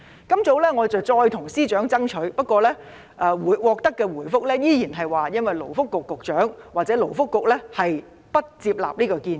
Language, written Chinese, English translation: Cantonese, 今早，我再次向司長爭取，不過，獲得的回覆依然是勞工及福利局局長或勞工及福利局不接納這個建議。, This morning I asked the Secretary again to give it a try but was told that the Secretary for Labour and Welfare or the Labour and Welfare Bureau did not accept this suggestion